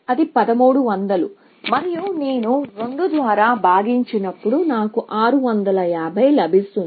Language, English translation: Telugu, So, that is 1300, and when I divide by 2, I will get 650